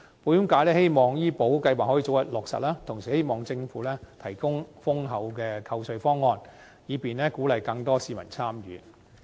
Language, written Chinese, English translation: Cantonese, 保險界希望醫保計劃可以早日落實，同時希望政府提供優厚的扣稅方案，以便鼓勵更多市民參與。, The insurance sector hopes for an expeditious implementation of VHIS and the provision of favourable tax deduction by the Government to encourage more public participation